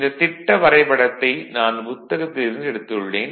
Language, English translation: Tamil, This diagram I have taken from a book right